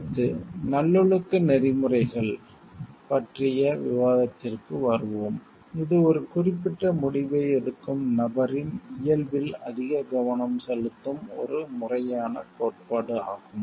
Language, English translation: Tamil, Next, we will come to the discussion of virtue ethics, which is the theory which is focused more on the nature of the person who is making a particular decision